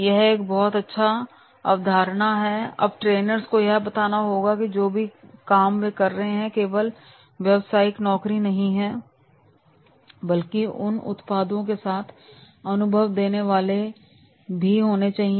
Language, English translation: Hindi, Now trainees are to be told that is whatever job they are doing that they should not be only the commercial jobs but they should have the experience with those products